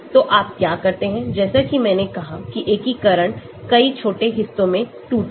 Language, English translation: Hindi, So, what you do, as I said integration is broken down into many small stages